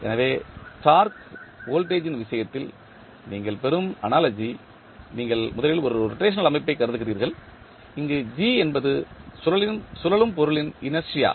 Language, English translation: Tamil, So, the analogy which you get, in case of torque voltage, you first consider one rotational system, where g is the inertia of rotating body